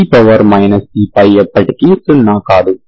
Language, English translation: Telugu, So we have c1 is 0